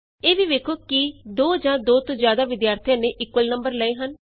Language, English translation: Punjabi, Check also if two or more students have scored equal marks